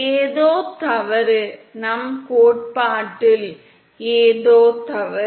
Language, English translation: Tamil, Something is wrong, is something wrong with our theory